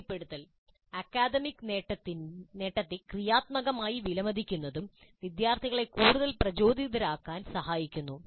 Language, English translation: Malayalam, And reinforcement, a positive appreciation of the academic achievement also helps the students to become more motivated